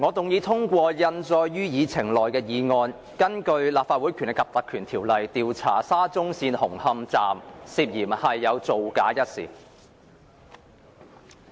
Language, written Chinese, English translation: Cantonese, 我動議通過印載於議程內的議案，根據《立法會條例》，調查沙中線紅磡站涉嫌造假一事。, I move that the motion on inquiring into the incident of suspected falsification concerning the Hung Hom Station of the Shatin to Central Link SCL under the Legislative Council Ordinance as printed on the Agenda be passed